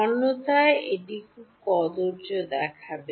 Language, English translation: Bengali, Otherwise, it will look very ugly